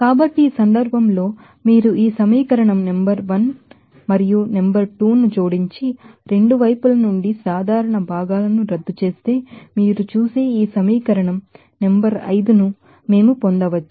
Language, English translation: Telugu, So, in this case if you add this equation number 1 and 2 and canceling the common constituents from both the sides, we can get this equation number 5 by you will see